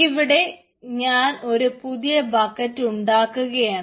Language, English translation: Malayalam, so i will now create a new storage bucket